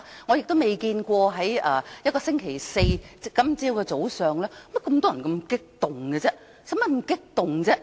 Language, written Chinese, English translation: Cantonese, 我亦未見過星期四早上會有這麼多表現激動的人，何需這樣激動呢？, I have never seen so many Members acted some agitatedly on a Thursday morning . Why do they have to be so agitated?